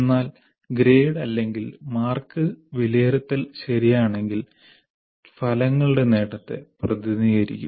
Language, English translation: Malayalam, But the grade or marks will represent the attainment of outcomes provided